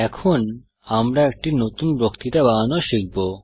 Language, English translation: Bengali, We shall now learn to create a new lecture